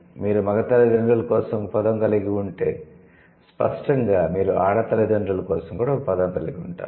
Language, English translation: Telugu, If you have a word for the male parent, then obviously we'll have a word for the female parent